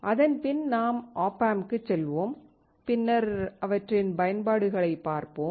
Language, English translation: Tamil, Then we will go to the op amp and then we will see their applications